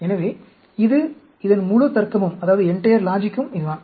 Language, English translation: Tamil, So, this is, this is the entire logic of this